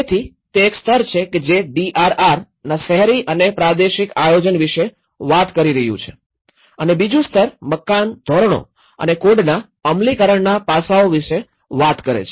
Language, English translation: Gujarati, So, which is one level is talking about the urban and regional planning of it the DRR and the second level is talking about the implementation aspects of building standards and codes